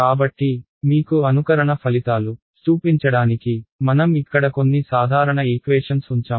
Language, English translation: Telugu, So, I have just put a few simple equations of pictures over here to show you simulation results